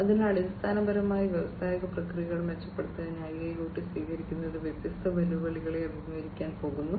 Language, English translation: Malayalam, So, basically adoption of IIoT for improving industrial processes, different challenges are going to be faced